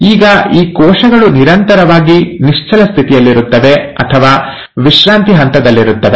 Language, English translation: Kannada, Now these cells perpetually stay in a state of quiescence, or a resting phase